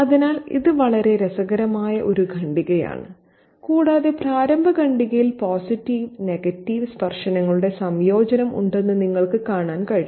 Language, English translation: Malayalam, So, this is a very interesting paragraph and you can see that just as in the opening paragraph there's a combination of positive and negative touches to it